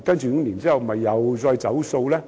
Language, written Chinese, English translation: Cantonese, 五年後是否又再"走數"？, Will the Government go back on its word again five years later?